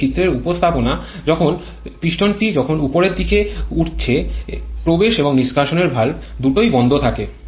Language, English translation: Bengali, This is a pictorial representation when the piston is moving upwards both inlet and exhaust valves are closed